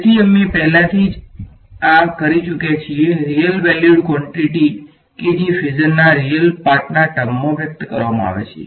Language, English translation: Gujarati, So, we have already done this the real valued quantity is expressed in terms of the real part of the phasor right